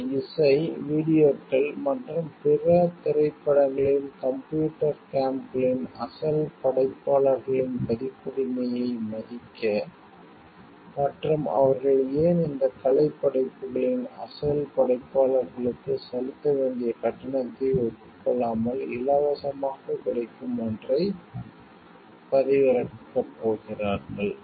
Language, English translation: Tamil, To respect the copyright of the like original creators of these music s, videos and etcetera movies computer games and why they are going to download something which is freely available without acknowledging the due payment, the payment that is due to the original creators of these artistic works